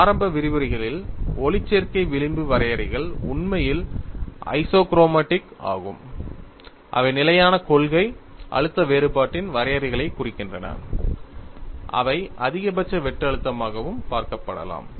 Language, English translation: Tamil, We have seen in the initial lecture, that photo elasticity fringe contours are actually isochromatics which represent contours of constant principle stress difference, which could also be looked at as maximum shear stress